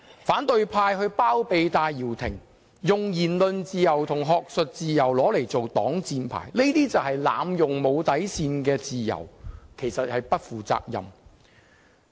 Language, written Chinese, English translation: Cantonese, 反對派包庇戴耀廷，以言論自由和學術自由作擋箭牌，濫用無底線的自由，實屬不負責任。, It is irresponsible of the opposition camp to harbour Benny TAI using the freedom of speech and academic freedom as a shield and abuse freedom without a bottom line